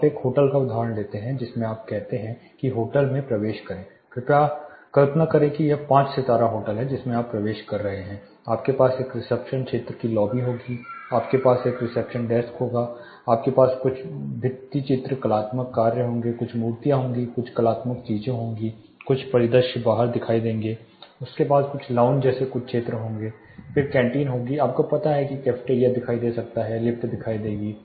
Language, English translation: Hindi, You take the example of a hotel you enter the hotel say imagine it is a five star hotel you are entering it you will have a reception area lobby then you will have the reception desk, you will have some mural artistic work, some you know statues few artistic things will be there, some landscape will be seen outside, they will have certain areas you know longest to discuss, then canteen will be you know cafeteria might be visible, lifts will be visible